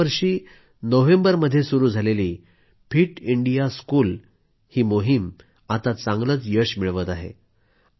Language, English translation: Marathi, The 'Fit India School' campaign, which started in November last year, is also bringing results